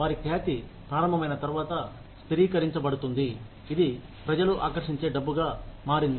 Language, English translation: Telugu, Once their reputation starts, being stabilized; become money it attracts, a lot of people